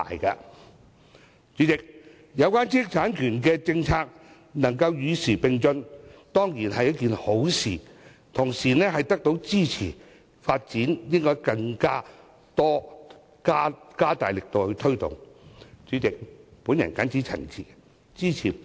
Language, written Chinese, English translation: Cantonese, 代理主席，有關知識產權的政策能夠與時並進，當然是一件好事，同時，得到業界支持，政府更應加大力度推動其發展。, Deputy President it is definitely a good thing to see our intellectual property rights policy keep abreast of the times . There is now industry support so the Government should step up its promotion efforts